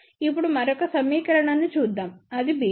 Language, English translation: Telugu, Now let us look at the other equation which is b 1